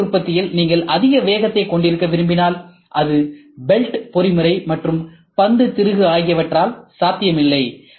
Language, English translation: Tamil, And if you want to have very high speeds in additive manufacturing, it is not possible both by belt mechanism as well as ball screw